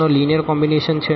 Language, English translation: Gujarati, So, what is linear combination